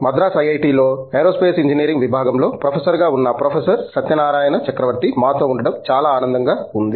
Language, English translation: Telugu, Satyanarayanan Chakravarthy, who is a professor in the Department of Aerospace Engineering here at IIT, Madras